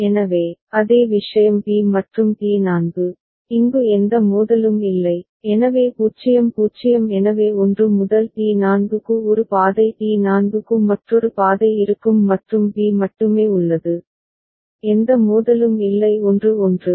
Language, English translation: Tamil, So, same thing b and T4, there is no conflict over here, so 0 0 so there will be one path going for 1 to T4 another path to T4 and b there is only, there is no conflict only 1 1